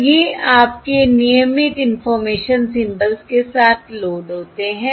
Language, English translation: Hindi, So these are loaded with your regular information symbols